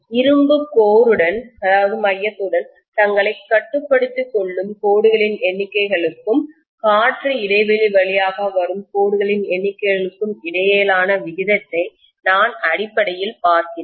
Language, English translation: Tamil, I am essentially looking at the ratio of the number of lines confining themselves to the iron core and the number of lines that are coming through the air gap